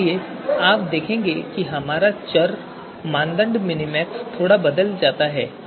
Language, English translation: Hindi, So therefore you would see that our you know variable criterion minmax now this has changed slightly so we will run this again